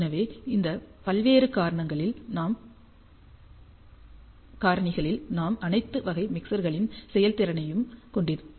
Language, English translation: Tamil, So, on this various factors we have the performance of all the mixer types